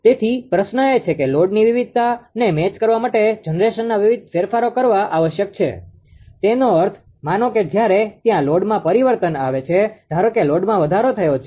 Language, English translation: Gujarati, So, question is that generation changes must be made to match the load variation; that means, suppose, when there is a change in load, ah suppose, there is a increase of load